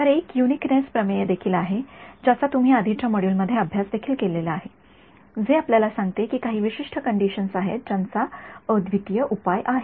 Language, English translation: Marathi, So, there is also a uniqueness theorem which you have studied in the earlier modules, which tells us there is a given certain conditions that the unique solution